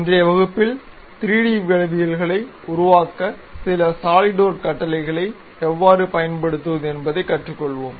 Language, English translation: Tamil, In today's class, we will learn how to use some of the Solidworks command to construct 3D geometries